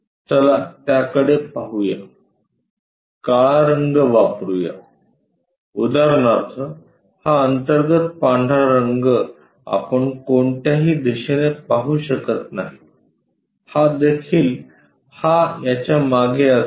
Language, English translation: Marathi, Let us look at that, let us use black color for example, this internal white color we can not visualize it from any direction this one this is also behind this one